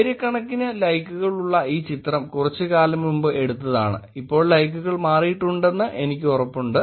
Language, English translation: Malayalam, And there is about thousands and thousands of likes this picture that was taken some time back I am sure the likes have changed now